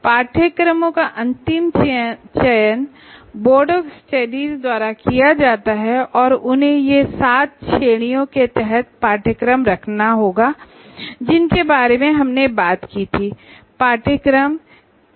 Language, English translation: Hindi, So, and the course is identified by all, generally the final selection of the courses will be done by Board of Studies, they have to put the courses under these seven categories that we talked about